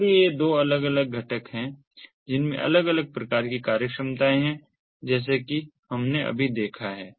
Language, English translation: Hindi, so these are the two distinct components with separate functionalities, as we have just gone through